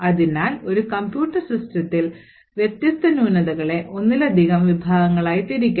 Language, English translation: Malayalam, So, we could actually categorise the different flaws in a computer system in multiple categories